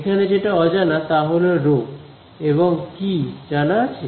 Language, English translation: Bengali, So, what is unknown over here is rho and what is known